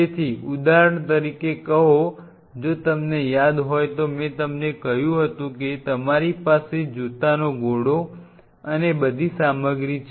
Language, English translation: Gujarati, So, say for example, if you remember I told you that you have a shoe rack and all that stuff